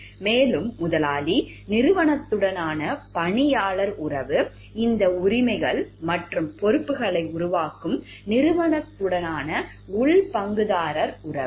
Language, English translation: Tamil, And it is there that employer employee relation with the organization, the internal stakeholder relation with the organization that generates these rights and responsibilities